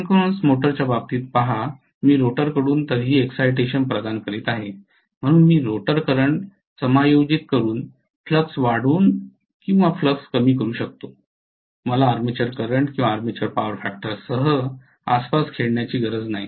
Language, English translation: Marathi, See in the case of synchronous motor I am providing excitation anyway from the rotor, so I can increase the flux or decrease the flux essentially by adjusting the rotor current I do not have to play around with the armature current or armature power factor